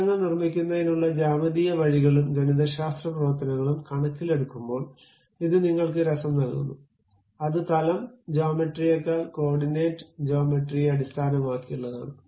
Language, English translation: Malayalam, That gives you a flavor in terms of both geometrical way of constructing the pictures and mathematical functions which might be using to construct that more like based on coordinate geometry rather than plane geometry, great